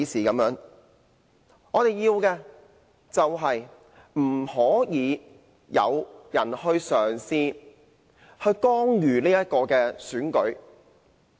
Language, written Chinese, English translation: Cantonese, 我們的要求是不應有任何人嘗試干預選舉。, Our demand is that nobody should try to interfere in the election